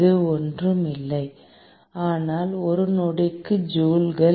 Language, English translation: Tamil, which is nothing, but joules per second